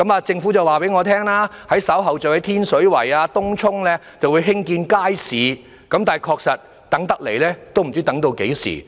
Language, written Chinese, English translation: Cantonese, 政府告訴我，稍後會在天水圍、東涌等地興建街市，但確實不知道要等到何時。, The Government told us that later on markets would be built in such places as Tin Shui Wai and Tung Chung but there is no knowing how long the wait will be